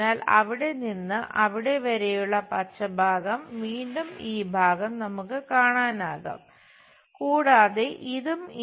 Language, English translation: Malayalam, So, green portion from there to there, and again we will see this part